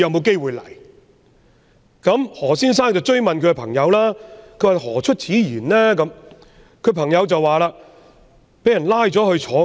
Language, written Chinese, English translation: Cantonese, 經何先生追問後，他的朋友答道：說不定將來被人逮捕坐牢。, After being pressed by Mr HO for an explanation his friend replied I might be arrested and imprisoned in the future